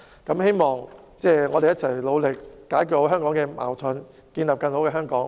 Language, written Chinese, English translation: Cantonese, 我希望大家可以一起努力解決香港的矛盾，建立更好的香港。, I hope that we can work together to resolve the conflicts in Hong Kong and build a better Hong Kong